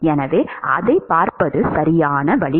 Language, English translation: Tamil, So, that is the correct way of looking at it